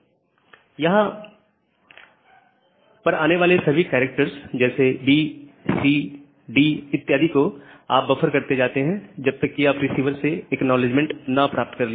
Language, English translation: Hindi, And you keep on buffering all the subsequent characters A B C D until you get the acknowledgement from the sender